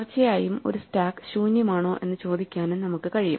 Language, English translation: Malayalam, And of course, we can also query whether a stack is empty or not